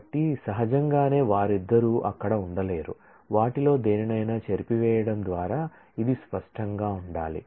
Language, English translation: Telugu, So, naturally both of them cannot be there, it will have to be made distinct by erasing any one of them